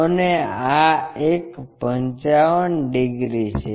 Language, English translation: Gujarati, And, this one is 55 degrees